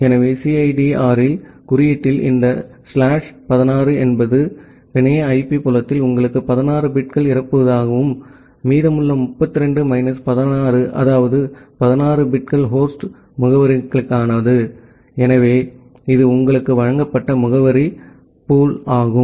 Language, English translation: Tamil, So, this slash 16 in CIDR notation means you have 16 bits in the network IP field, and the remaining 32 minus 16 that means, the 16 bits are for host addresses, so that is the address pool that is given to you